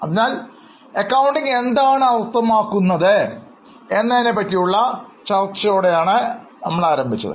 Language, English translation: Malayalam, So, we started with discussion on what is meant by accounting